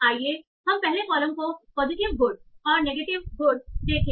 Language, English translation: Hindi, So let's see the first column, positive good and negative good